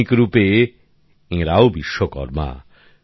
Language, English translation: Bengali, In modern form, all of them are also Vishwakarma